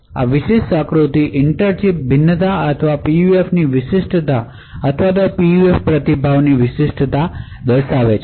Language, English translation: Gujarati, This particular figure shows the inter chip variation or the uniqueness of the PUF or the uniqueness of the PUF response